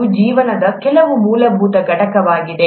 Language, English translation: Kannada, This is some fundamental unit of life itself